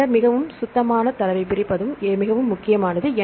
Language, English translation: Tamil, So, and then divided very clean data right this is very important